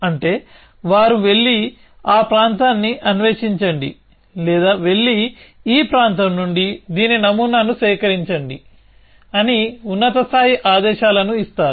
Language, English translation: Telugu, is that they give high level commands go and explore that area or go and collect samples of this in from this area